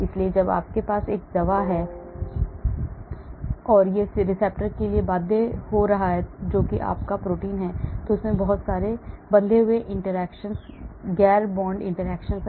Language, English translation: Hindi, So when you have a drug and it is going and binding to a receptor that is your protein and there are lot of bonded interactions, non bond interactions